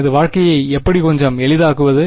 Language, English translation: Tamil, How can I make my life a little bit easier